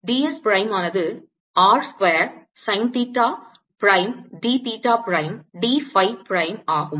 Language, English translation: Tamil, d s prime is r square sine theta prime, d theta prime, d phi prime